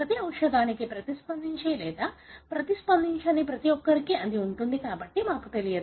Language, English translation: Telugu, That is for every drug who would respond or who will not respond, so we do not know